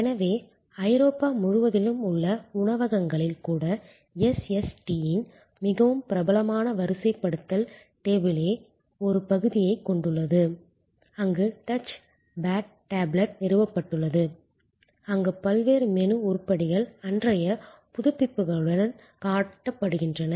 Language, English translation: Tamil, So, even in restaurants across Europe, now a quite popular deployment of SST is the table itself has a portion, where a touch pad tablet is installed, where all the different menu items are shown with a updates for the day